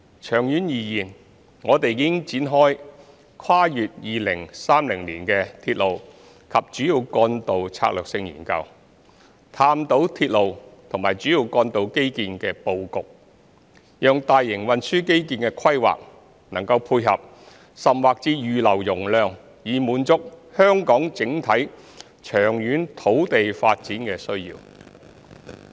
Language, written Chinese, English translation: Cantonese, 長遠而言，我們已展開《跨越2030年的鐵路及主要幹道策略性研究》，探討鐵路及主要幹道基建的布局，讓大型運輸基建的規劃能配合甚或預留容量以滿足香港整體長遠土地發展的需要。, In the long term we commenced the Strategic Studies on Railways and Major Roads beyond 2030 to investigate the layout of railway and major roads infrastructures such that the planning of large scale transport infrastructures can facilitate or even reserve capacity to satisfy Hong Kongs overall long - term demand on land supply